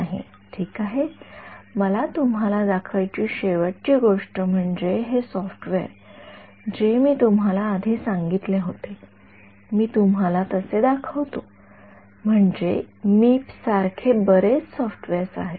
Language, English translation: Marathi, No ok so, the last thing that I want to show you is this software which I have mentioned to you previously, I will show you so, they have I mean I will show you the reason is I mean like Meep there are many many softwares